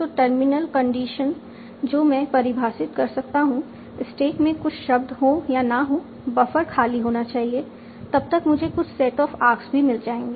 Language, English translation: Hindi, So terminal condition I can define as stack would have some, it may or may not have some words, buffer should be empty and I will have obtained a set of arcs